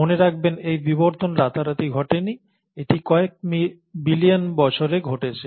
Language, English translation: Bengali, And mind you, this evolution has not happened overnight, this evolution has happened over billions of years